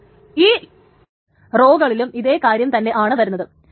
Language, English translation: Malayalam, And on the rows, there is the same thing